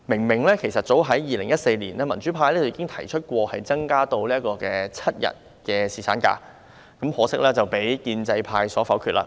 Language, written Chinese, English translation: Cantonese, 民主派早在2014年已經提出把侍產假日數增至7日，可惜遭建制派否決。, Pan - democrats proposed to increase the duration of paternity leave to seven days as early as 2014 but unfortunately it was voted down by the pro - establishment camp